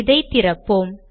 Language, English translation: Tamil, Let me open it